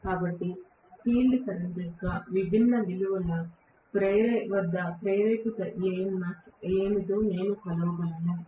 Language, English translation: Telugu, So, that I would be able to measure what is the induced EMF at different values of field current, okay